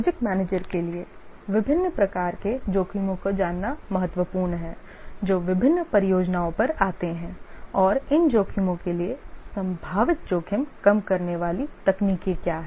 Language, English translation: Hindi, It is important for the project manager to know the different types of risks that fall on various projects and what are the possible reduction techniques that are suitable for these risks